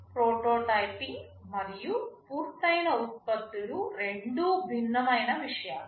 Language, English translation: Telugu, Well, prototyping and finished products are two entirely different things